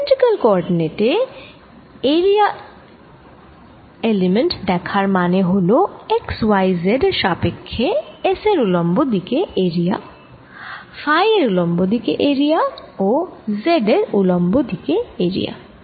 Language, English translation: Bengali, if i look at the area element in cylindrical coordinates, i am looking at x, y, z, at area perpendicular to s, area perpendicular to phi and area perpendicular to z